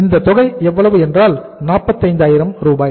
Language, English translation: Tamil, So this is the amount, 45,000